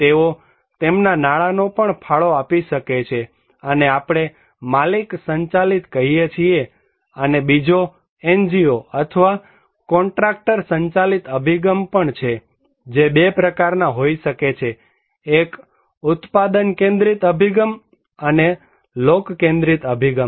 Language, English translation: Gujarati, They can also contribute their money, this is we called owner driven and also there is the kind of NGO or contractor driven approach that can be 2 types; one is product centric approach and people centric approach